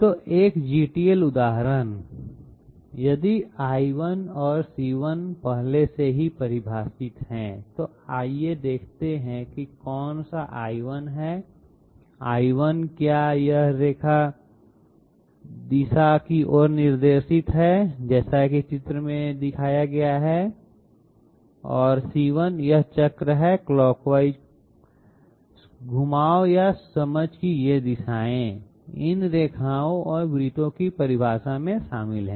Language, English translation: Hindi, So 1 GTL example, if L1 and C1 are already defined, let us see which one is L1, L1 is this line directed towards this direction and C1 is this circle with the clockwise sense of rotation, these directions of rotations or sense, these are incorporated in the very definition of these lines and circles